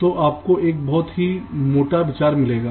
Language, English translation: Hindi, you will get a very rough idea